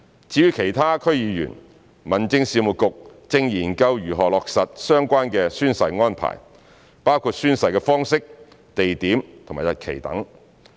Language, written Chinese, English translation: Cantonese, 至於其他區議員，民政事務局正研究如何落實相關的宣誓安排，包括宣誓的方式、地點、日期等。, As for other DC Members the Home Affairs Bureau is studying how to implement the relevant oath - taking arrangements including the manner place and date etc . of oath - taking